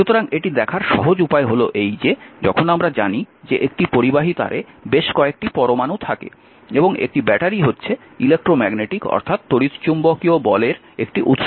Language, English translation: Bengali, So, the little bit way of to see that when you, we know that a conducting wire consists of several atoms right and a battery is a source of electromagnetic force